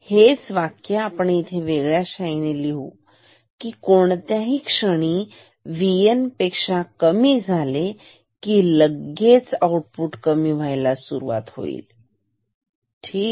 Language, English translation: Marathi, So, in this same statements we can write with a different color, that if at any moment V N is less than V N then output will decrease ok